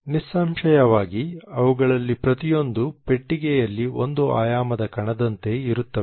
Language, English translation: Kannada, Obviously each one of them is like a one dimensional part particle in a box